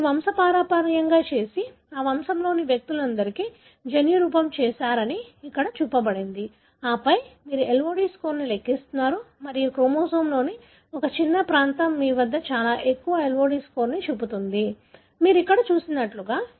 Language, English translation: Telugu, That is what shown here that you have done a pedigree and done the genotyping for all the individuals in that pedigree and then you are calculating the LOD score and you find that a small region of the chromosome you have all the marker showing very high LOD score, like that what you see here